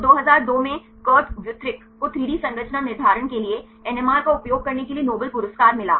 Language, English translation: Hindi, So, in 2002 Kurt Wuthrich he got Nobel Prize for using NMR for 3D structure determination